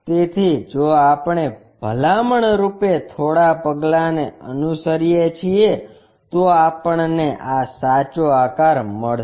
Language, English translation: Gujarati, So, if we are following few steps as a recommendation, then we will get this true shape